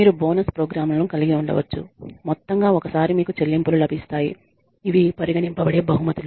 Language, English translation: Telugu, You could have bonus programs, lump sum payments that is one time you could have awards which are tangible prizes